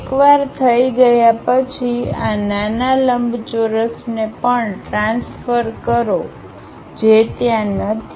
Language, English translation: Gujarati, Once done, transfer this small rectangle also, which is not there